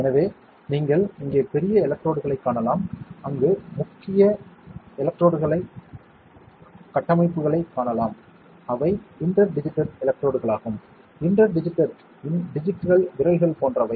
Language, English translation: Tamil, So, you can see major electrodes here, major electrodes there and you can see fine structures here, those are the inter digitated electrodes; inter digitated, digits like fingers